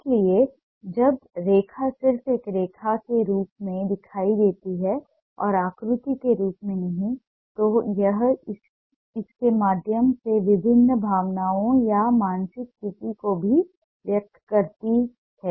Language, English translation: Hindi, so when line appears just as a line and not as a shape, it also expresses different emotion or mental state through it